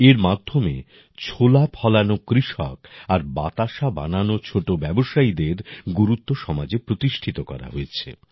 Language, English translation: Bengali, Through this, the importance of farmers who grow gram and small entrepreneurs making batashas has been established in the society